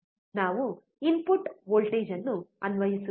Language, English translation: Kannada, We will be applying the input voltage